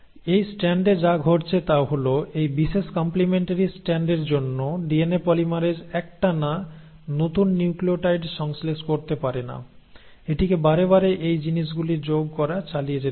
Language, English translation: Bengali, So in this strand what has happened is for this particular complementary strand the DNA polymerase cannot, at a stretch, synthesize the new nucleotides; it has to keep on adding these things in stretches